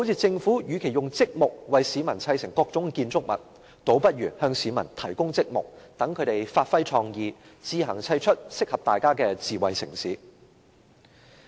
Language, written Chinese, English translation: Cantonese, 政府與其用積木為市民砌成各種建築物，不如向市民提供積木，讓他們發揮創意，自行砌出適合大家的智慧城市。, Instead of using its bricks to construct buildings for the people the Government can give the bricks to the people so that they can use their creativity to build a smart city which suits everyone